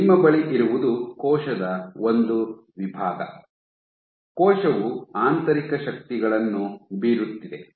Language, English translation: Kannada, So, what you have is a section of the cell, the cell is exerting internal forces